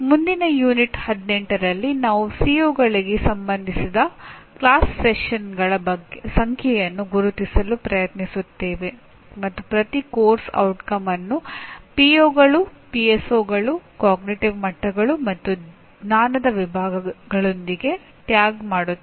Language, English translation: Kannada, Now in the next Unit 18 we will try to identify the number of class sessions associated with COs and tag each course outcome with the POs, PSOs, cognitive levels and knowledge categories addressed